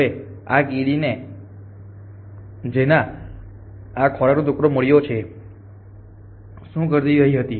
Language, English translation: Gujarati, Now, this ant which is found this piece of food what was it do